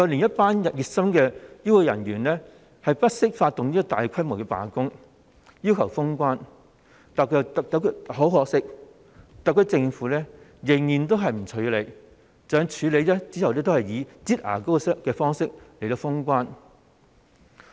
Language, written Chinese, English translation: Cantonese, 一些熱心的醫護人員不惜發動大規模罷工，要求封關，但很可惜，特區政府仍然都是不處理；即使後來有處理，都只是以"擠牙膏"方式來封關。, Some dedicated health care staff staged a large - scale strike at their own risk to call for the closure of the boundary control points but sadly this was met with the SAR Governments inaction . Even though something was eventually done to address the situation it was simply closure of the boundary control points in a manner like squeezing toothpaste out from a tube